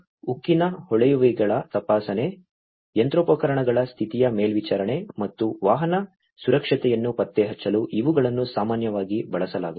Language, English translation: Kannada, These are typically used for inspection of steel pipes, condition monitoring of machinery, and detection of vehicle safety